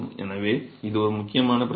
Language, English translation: Tamil, So, it is an important problem